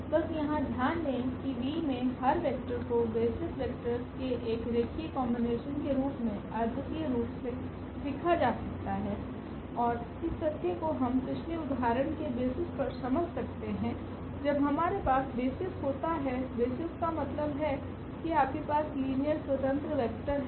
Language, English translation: Hindi, Just a note here that every vector in V can be written uniquely as a linear combination of the basis of vectors and this fact also we can explain from the previous example itself, that when we have the base is there; the basis means you are linearly independent vectors